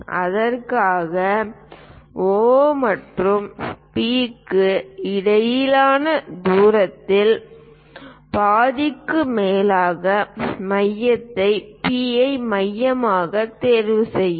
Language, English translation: Tamil, For that we pick P as centre more than the half of the distance between O and P make arcs on both the sides